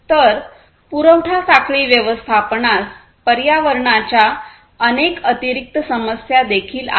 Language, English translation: Marathi, So, supply chain management has many additional environmental concerns as well